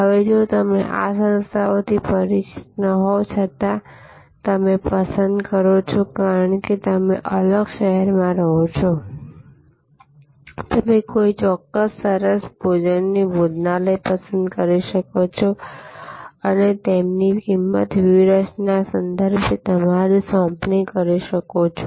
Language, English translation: Gujarati, Now, if you are not familiar with these organizations or you prefer, because you are located in a different city, you can choose any fine dining sort of restaurant and do your assignment with respect to their pricing strategy